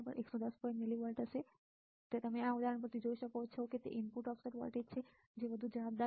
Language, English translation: Gujarati, 5 millivolts (Refer Time: 14:24) you can be seen from this example that it is the input offset voltage which is more responsible right